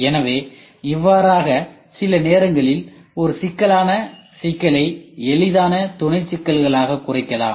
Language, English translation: Tamil, So, that is what it is, sometimes a complex problem can be reduced into easier sub problems